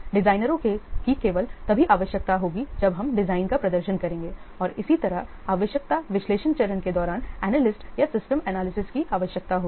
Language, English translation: Hindi, Designer will be required for only when we will perform the design and similarly analyst or system analyst they will be required during the requirement analysis phase